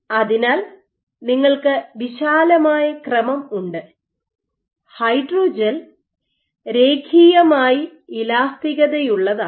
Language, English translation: Malayalam, So, you have a wide range, this preferred that the hydrogel is linearly elastic